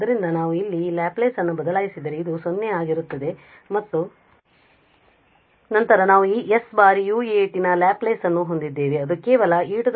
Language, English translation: Kannada, So, we can substitute this Laplace here and what we will get because this is going to be 0 and then we have s times the Laplace of this u a t